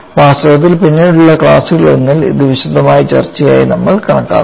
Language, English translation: Malayalam, In fact, we would take that as a detailed discussion in one of the later classes